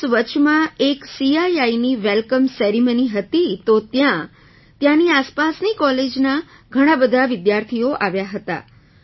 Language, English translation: Gujarati, Plus there was a CII Welcome Ceremony meanwhile, so many students from nearby colleges also came there